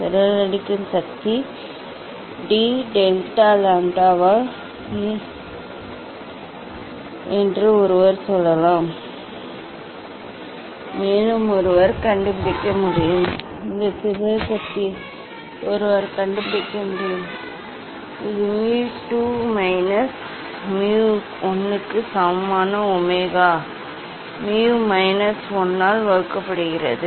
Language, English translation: Tamil, one can also tell the dispersive power is d delta lambda by d lambda, And, one can find out; one can find out that mu this dispersive power, it is a omega equal to mu 2 minus mu 1 divided by mu minus 1